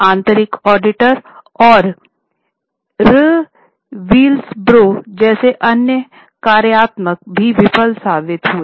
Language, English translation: Hindi, Other functionaries like internal auditors and whistleblowers also proved to be failures